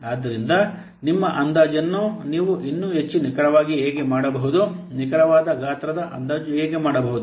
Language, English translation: Kannada, So, how you can still make your estimation more accurate, how you can do accurate size estimation